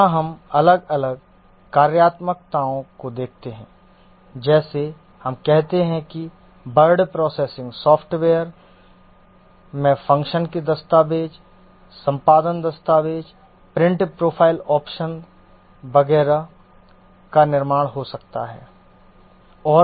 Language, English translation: Hindi, Here we look at the different functionalities like let's say word processing software may have the functionalities, create document, edit document, print, file operation, etc